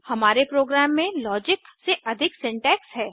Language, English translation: Hindi, There is more syntax than logic in our program